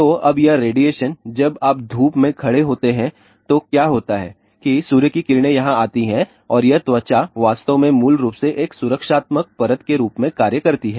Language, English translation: Hindi, So, now, this radiation when you stand in the sun so, what happens the sun rays come here and it actually basically skin acts as a protective layer